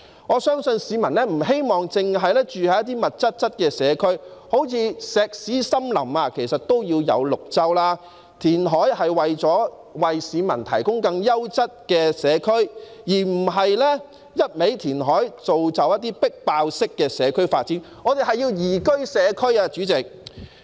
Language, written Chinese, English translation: Cantonese, 我相信市民不希望住在密集的社區，即使是"石屎森林"也要有綠州，填海應為市民提供更優質的社區，而不是一味填海，造就"迫爆式"的社區發展，我們要的是宜居社區，主席。, I believe the public would not wish to live in a crowded district and even in a concrete jungle still there has to be an oasis . Reclamation should provide a quality community for the public . It should not be carried out indiscriminately which will otherwise result in overloaded community development